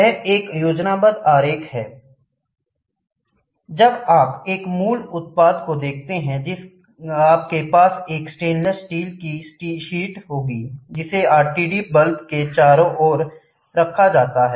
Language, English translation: Hindi, When you this is a schematic diagram, when you look at an original product you will have a stainless steel a seal sheet, which is kept an around the RTD bulb this bulb